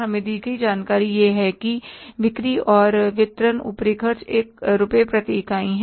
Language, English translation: Hindi, Information given to us is that selling and distribution overheads are rupees one per unit